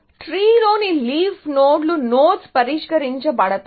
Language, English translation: Telugu, So, the leaf nodes in the tree would be solved nodes